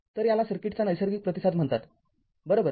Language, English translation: Marathi, So, this is called the natural response right of the circuit